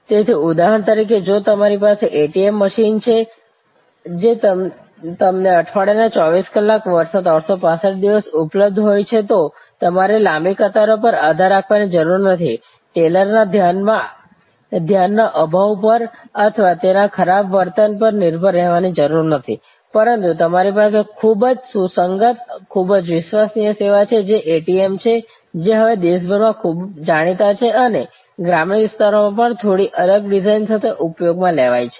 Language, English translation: Gujarati, So, for example, if you have a ATM machine which is available to you 24 hours 7 days a week, 365 days a year, you do not have to depend on long queues, you do not have to depend on the lack of a attention from the teller or bad behavior from the teller on certain days, you have very consistent, very reliable service which is the ATM, which is now pretty well known around the country and used even in rural areas with a little bit different design